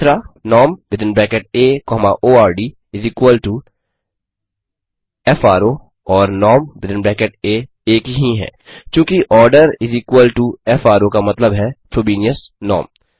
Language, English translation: Hindi, norm within bracket A comma ord=is equal to fro and norm are same, since the order=is equal to fro stands for Frobenius norm